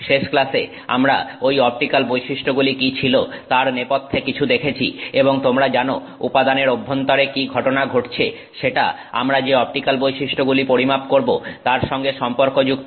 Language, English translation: Bengali, In the last class we looked at some background on what those optical properties were and you know what is the event that's happening inside the material that relates to the optical property that we measure